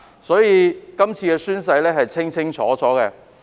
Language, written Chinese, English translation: Cantonese, 所以，這次宣誓的規定是清清楚楚的。, Therefore the oath - taking requirements have been clearly set out this time